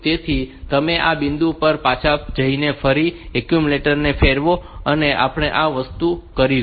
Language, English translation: Gujarati, So, you will go back to this point again rotate the accumulator and we will do this thing